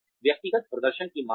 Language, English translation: Hindi, Recognition of individual performance